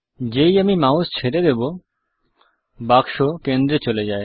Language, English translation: Bengali, As I release the mouse, the box gets moved to the centre